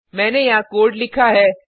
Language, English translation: Hindi, I have written the code here